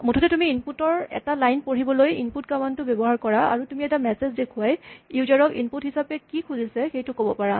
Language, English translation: Assamese, Basically, you use the input command to read one line of input from the user and you can display a message to tell the user what is expected of him